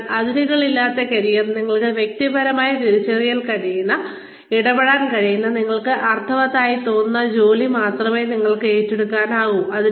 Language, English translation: Malayalam, So, in boundaryless careers, you only take up work, that you can personally identify with, that you can personally get involved in, that seems meaningful to you